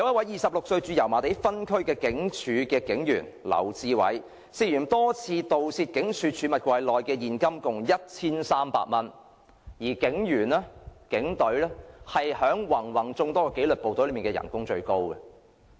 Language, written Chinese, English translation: Cantonese, 二十六歲駐油麻地分區的警署警員劉智偉，涉嫌多次盜竊警署儲物櫃內的現金共 1,300 元，而警隊的薪酬在芸芸眾多紀律部隊中最高。, LAU Chi - wai a 26 - year - old officer stationed in Yau Ma Tei police district was suspected of having stolen a total of 1,300 from the lockers in the police station on several occasions while the remuneration of the Police Force is the highest among various disciplined services